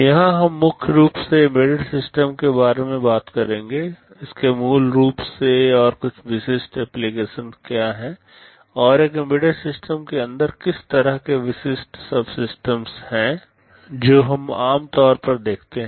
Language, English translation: Hindi, Here we shall be primarily talking about embedded systems, what it is basically and some typical applications, and inside an embedded systems what kind of typical subsystems we normally get to see